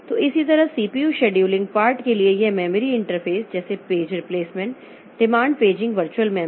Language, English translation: Hindi, So, and similarly for the CPU scheduling scheduling part then this memory interface like page, page replacement, demand paging virtual memory